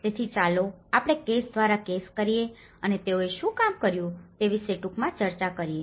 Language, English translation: Gujarati, So, let us go case by case and briefly discuss about what they have worked on